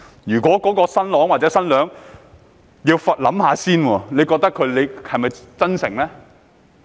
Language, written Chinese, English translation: Cantonese, 如果新郎或新娘要想一想才說，你認為他們是否真誠呢？, If the groom or the bride hesitates before saying that do you think they are sincere?